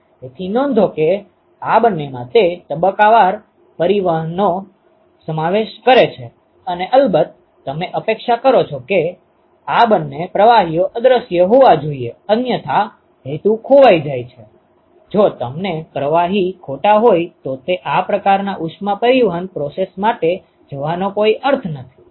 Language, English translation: Gujarati, So, note that both of these they involve a phase change and of course, you would expect that these two liquids should be invisible otherwise the purpose is lost, if their fluids are miscible then it is no point in going for these kinds of heat transport processes ok